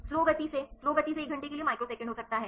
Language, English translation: Hindi, Slow to slow to fast may be the microseconds to one hour